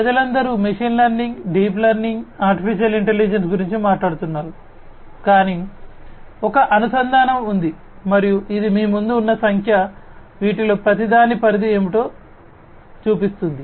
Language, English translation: Telugu, You know all the people are talking about machine learning, deep learning, artificial intelligence, but there is a you know there is a linkage and this is this figure in front of you shows you know what is the scope of each of these